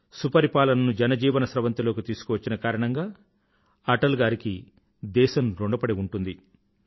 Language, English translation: Telugu, The country will ever remain grateful to Atalji for bringing good governance in the main stream